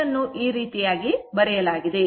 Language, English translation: Kannada, So, same way it can be written